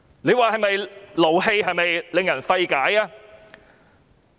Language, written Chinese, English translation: Cantonese, 這不是令人氣憤、令人費解嗎？, Is this not infuriating and unfathomable?